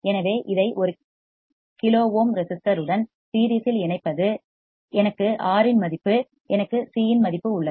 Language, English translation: Tamil, So and connecting this in series with one kilo ohm resistor I have a value of R, I have value of C